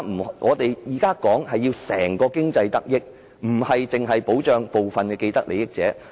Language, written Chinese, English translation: Cantonese, 我們現在希望整體經濟得益，而非單單保障部分既得利益者。, Now we hope that the overall economy will be benefited not that only some parties with vested interests will be protected